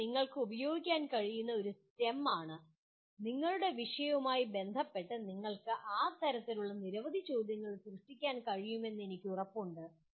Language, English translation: Malayalam, This is a STEM that you can use and with respect to your subject I am sure you can generate several questions of that type